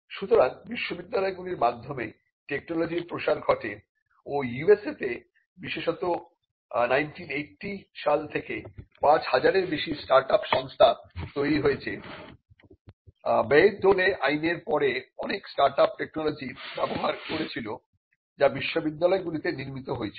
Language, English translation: Bengali, So, dissemination of technology for a wider distribution happen through the universities and in the US especially more than 5000 start ups have been created since 1980, that is since the Bayh Dole Act many startups have come through by using technology that was developed by the universities